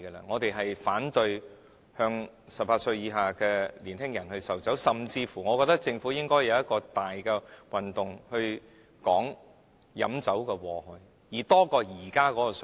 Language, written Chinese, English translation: Cantonese, 我們反對向18歲以下的年輕人售酒，甚至我認為政府應該舉辦大型活動，宣傳飲酒的禍害，甚於現時的水平。, We oppose to the sale of liquor to minors under the age of 18 years . We even think that the Government should organize some large scale campaigns which will surpass the scale of present day campaigns to publicize the harmful effects of alcohol consumption